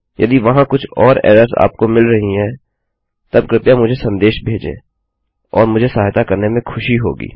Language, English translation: Hindi, If there are other errors that you are getting, then please message me and I will be happy to help